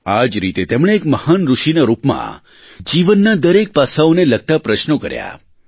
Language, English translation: Gujarati, Thus, as a great sage, he questioned every facet of life